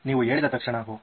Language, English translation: Kannada, moment that you said, Oh